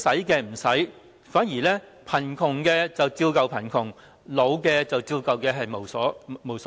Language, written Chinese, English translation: Cantonese, 結果貧窮的人依舊貧窮，年老的人依舊老無所依。, As a result people in poverty remain poor and the elderly remain lacking any sense of belonging